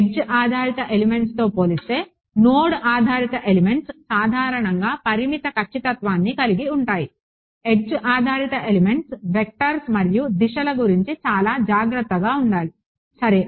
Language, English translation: Telugu, Node based elements typically have limited accuracy compared to edge based elements, edge based elements required to be very careful about vectors and directions ok